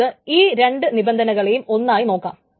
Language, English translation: Malayalam, So let us go over these two conditions one by one